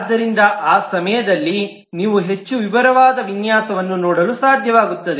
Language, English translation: Kannada, So you will be able to see more detailed design at the point of time